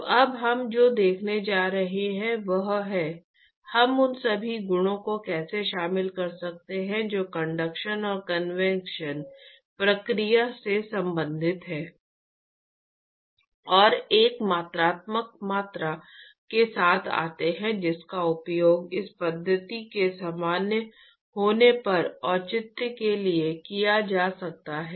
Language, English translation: Hindi, So, what we are going to see now is; how can we incorporate all the properties which are related to the conduction and convection process and come up with a quantitative quantity which can be used to justify when this method is valid